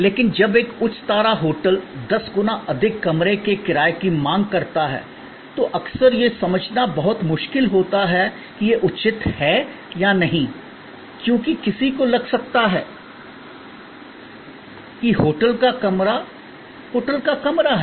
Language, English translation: Hindi, But, when a high star hotel demands ten times more room rent, it is often very difficult to comprehend that whether that is justified or not, because one may feel a hotel room is a hotel room